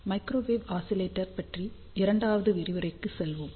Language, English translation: Tamil, Hello and welcome to the second lecture on microwave oscillator